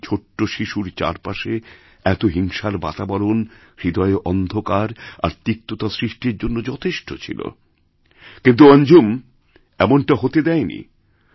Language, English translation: Bengali, For a young child, such an atmosphere of violence could easily create darkness and bitterness in the heart, but Anjum did not let it be so